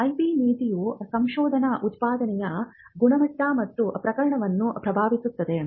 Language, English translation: Kannada, Now, the IP policy can also influence the quality and quantity of research output